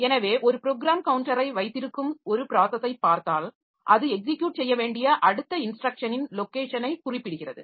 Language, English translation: Tamil, So, if you look into a process that has got a program counter that specifies the location of the next instruction to execute